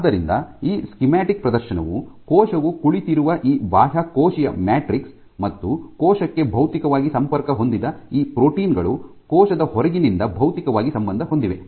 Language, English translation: Kannada, So, what this schematic shows is this extracellular matrix on which the cell is sitting you have at these proteins where there are the physically linked to the cell is physically linked to the outside